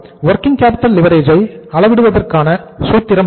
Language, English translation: Tamil, What is the formula of measuring the working capital leverage